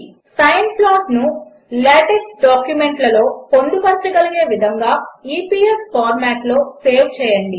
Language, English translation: Telugu, Save the sine plot in the EPS format which can be embedded in LaTeX documents